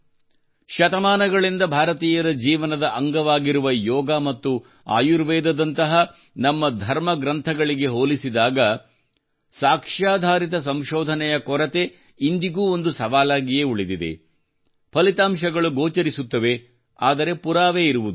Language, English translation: Kannada, Lack of evidence based research in the context of our scriptures like Yoga and Ayurveda has always been a challenge which has been a part of Indian life for centuries results are visible, but evidence is not